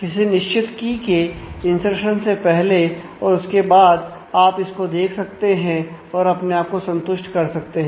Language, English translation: Hindi, Before and after insertion of a certain key you can go through that and convince yourself